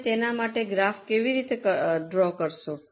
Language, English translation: Gujarati, How will you draw a graph for it